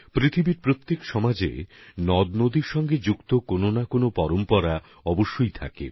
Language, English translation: Bengali, In every society of the world, invariably, there is one tradition or the other with respect to a river